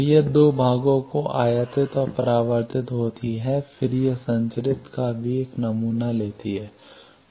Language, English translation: Hindi, So, that goes to two parts incident and reflected and then also it samples the transmitted one